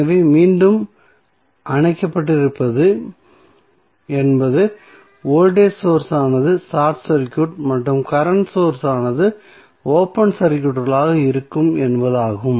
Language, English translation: Tamil, So, again the turned off means the voltage source would be short circuited and the current source would be open circuited